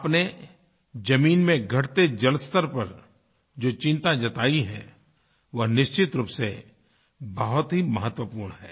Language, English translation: Hindi, The concerns you have raised on the depleting ground water levels is indeed of great importance